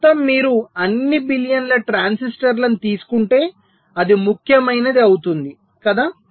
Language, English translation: Telugu, so the sum total, if you take over all billions transistors, it can become significant right